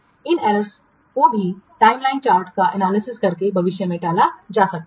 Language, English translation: Hindi, These errors also can be avoided in future by using by analyzing the timeline chart